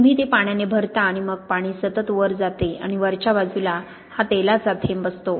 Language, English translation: Marathi, You fill it up with water and then the water goes up continuously and at the top you have this oil drop